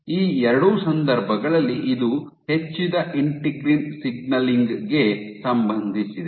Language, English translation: Kannada, So, in both these cases this is associated with increased integrin signaling